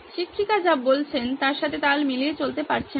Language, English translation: Bengali, He is not able to keep in pace with what the teacher is saying